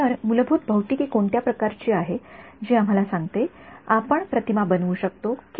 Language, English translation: Marathi, So, what is the sort of underlying physics that tells us whether or not we can image